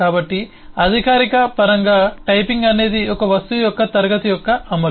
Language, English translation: Telugu, so in formal terms, the typing is the enforcement of the class of an object